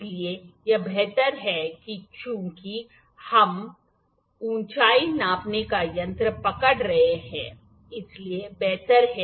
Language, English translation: Hindi, So, it is better that as we are holding the height gauge we have we it is better if we pull it here, ok